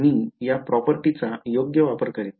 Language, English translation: Marathi, I will just use this property right